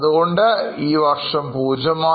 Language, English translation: Malayalam, In the last year it was 0